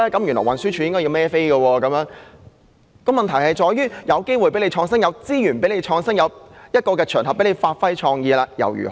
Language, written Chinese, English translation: Cantonese, 原來運輸署要為此負責，問題卻是即使給予機會和資源作出創新，也有場合讓部門發揮創意，結果又如何？, It turns out that TD should be responsible for the work but the problem is that although it was provided with a chance and the necessary resources for putting its innovative ideas into practice what results has it achieved?